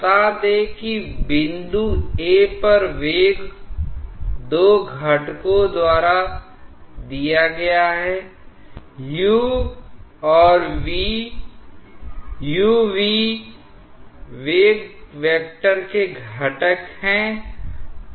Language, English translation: Hindi, Let us say that the velocity at the point A is given by the two components, u and v (u , v) are the components of the velocity vector